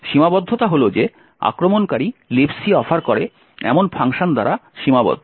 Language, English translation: Bengali, The limitation is that the attacker is constraint by the functions that the LibC offers